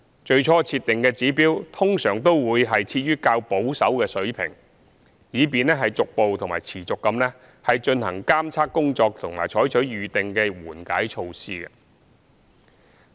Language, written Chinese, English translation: Cantonese, 最初設定的指標通常會設於較保守的水平，以便逐步及持續地進行監測工作及採取預定的緩解措施。, Initially the trigger levels are normally set at more conservative levels so that progressive and continuous monitoring works can be done and the pre - determined mitigation measures can be adopted